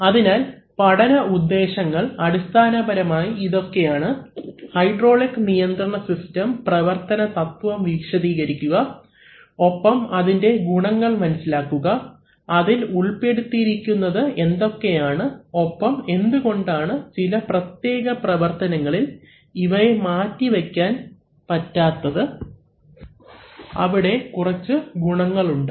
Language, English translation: Malayalam, So, the instructional objectives are basically to describe the principles of operation of hydraulic systems and understand its advantages, what is involved and why it is almost irreplaceable used in certain applications, there are certain advantages